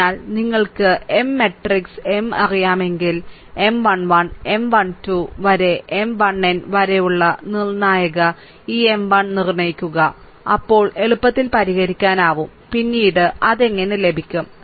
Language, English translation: Malayalam, So, if you know the M matrix m, then ah determinant this M 1, the determinant that M 1 1, M 1 2, M 1 3 up to M 1 n, then easily easily can be solved, right